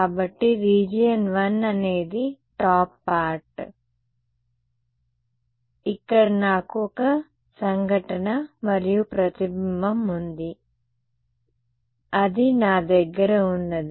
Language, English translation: Telugu, So, region 1 is the top part, where I have a incident plus reflected right, that is what I have